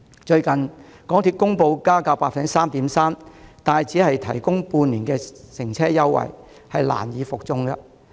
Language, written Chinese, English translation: Cantonese, 最近，港鐵公布將加價 3.3%， 卻只提供半年乘車優惠，確實難以服眾。, MTRCL recently announced a fare increase of 3.3 % and the provision of fare concession lasting only half a year a proposal that can hardly assuage public discontent indeed